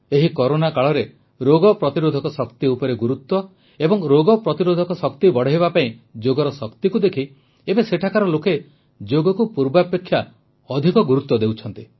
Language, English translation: Odia, In these times of Corona, with a stress on immunity and ways to strengthen it, through the power of Yoga, now they are attaching much more importance to Yoga